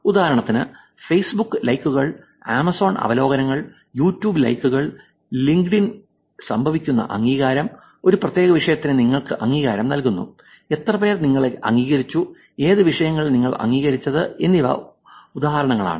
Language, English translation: Malayalam, For example, Facebook likes and Amazon reviews, YouTube likes, the endorsement that happens on LinkedIn where you are endorsed for a particular topic, how many people have endorsed you, what topics have you been endorsed